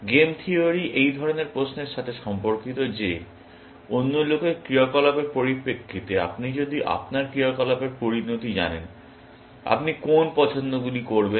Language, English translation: Bengali, Game theory is concerned with questions like this; that if you know the consequences of your actions, in the context of other people’s actions, what are the choices that you will make